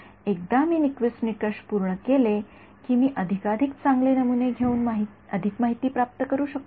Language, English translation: Marathi, Once I have satisfied Nyquist criteria will I get more information by sampling finer and finer